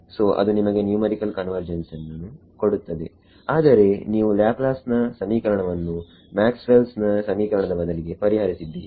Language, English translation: Kannada, So, it will give you numerical convergence, but you have solved Laplace equations, instead of Maxwell’s equations equation